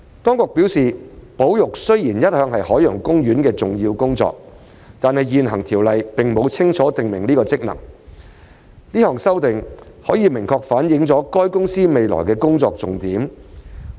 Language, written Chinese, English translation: Cantonese, 當局表示，保育雖然一向是海洋公園的重要工作，但現行條例並沒有清楚訂明此職能，這項修訂可明確反映海洋公園公司未來的工作重點。, The authorities have advised that while conservation has always been an important aspect of OPs work this function is not explicitly provided for in the existing ordinance . This amendment will clearly reflect the focus of OPCs work in the future